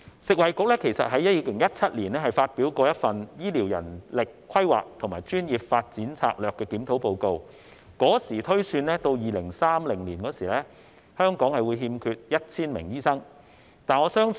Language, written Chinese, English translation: Cantonese, 食衞局在2017年發表了《醫療人力規劃和專業發展策略檢討》報告，當時推算到2030年香港會欠缺 1,000 名醫生。, In the Report of the Strategic Review on Healthcare Manpower Planning and Professional Development published by FHB in 2017 it was projected that there would be a shortfall of 1 000 doctors in Hong Kong by 2030